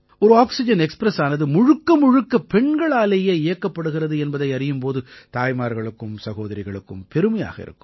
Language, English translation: Tamil, Mothers and sisters would be proud to hear that one oxygen express is being run fully by women